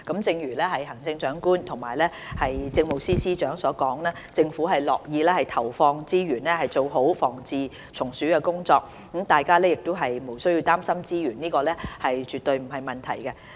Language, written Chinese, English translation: Cantonese, 正如行政長官及政務司司長所說，政府樂意投放資源，以改善防治蟲鼠的工作，大家亦無需要擔心，資源方面絕對不成問題。, As the Chief Executive and the Chief Secretary for Administration have pointed out the Government would be glad to allocate resources to improve pest control work . Members should not worry because resources are definitely not a problem